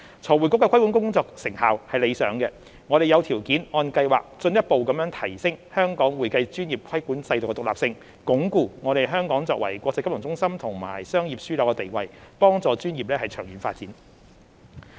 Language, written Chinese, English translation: Cantonese, 財匯局的規管工作成效理想，我們有條件按計劃進一步提升香港會計專業規管制度的獨立性，鞏固香港作為國際金融中心和商業樞紐的地位，幫助專業的長遠發展。, With satisfactory achievements of FRCs regulatory efforts we have the favourable conditions to further enhance the independence of the regulatory regime of the accounting profession in Hong Kong as planned so as to reinforce Hong Kongs status as an international financial centre and business hub which is conducive to the long - term development of the profession